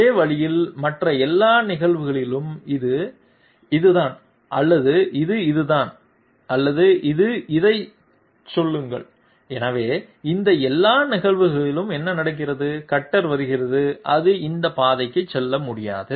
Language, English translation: Tamil, In the same way, in all other cases either it is this or it is this or it is say this one, so in all these cases what happens is the cutter comes, it cannot move to this path